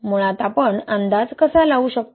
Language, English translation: Marathi, How can we predict basically